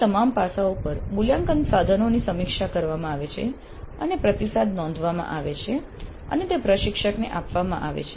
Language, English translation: Gujarati, From all these aspects the assessment instruments are reviewed and the feedback is recorded and is made available to the instructor